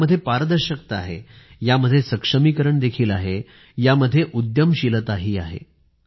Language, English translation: Marathi, This has transparency, this has empowerment, this has entrepreneurship too